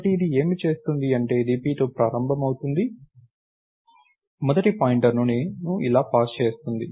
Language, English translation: Telugu, So, what this will do is, it will it will start with p, pass the first pointer like this